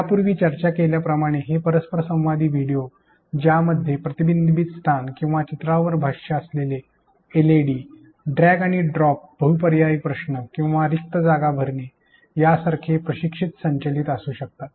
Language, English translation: Marathi, As discussed previously these interactive videos can be instructor driven including different kinds of reflection spots or LEDs such as annotating an image, drag and drop, multiple choice questions or filling the blanks